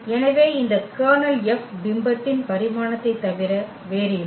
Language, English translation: Tamil, So, this kernel F is nothing but the dimension of the image F